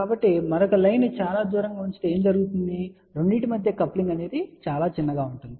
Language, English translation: Telugu, So, if the other line is put far away then what will happen the coupling between the 2 will be very, very small